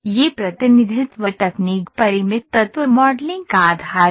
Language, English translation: Hindi, This representing technique is based on the finite element modelling